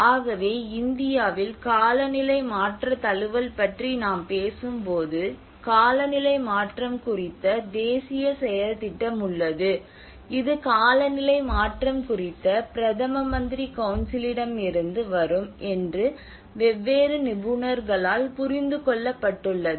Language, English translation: Tamil, For instance in India when we talk about climate change adaptation, there are national action plan on climate change which is from the Prime Ministers Council on climate change